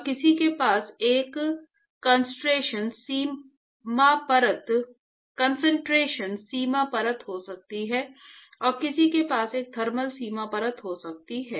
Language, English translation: Hindi, And, one could have a concentration boundary layer and one could have a thermal boundary layer